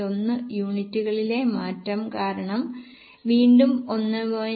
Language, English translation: Malayalam, 1 because of change in units and again 1